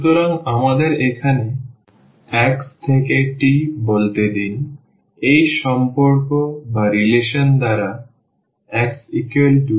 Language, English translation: Bengali, So, x to let us say the t here by, this relation x is equal to g t